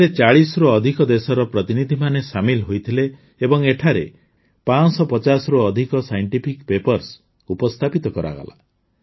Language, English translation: Odia, Delegates from more than 40 countries participated in it and more than 550 Scientific Papers were presented here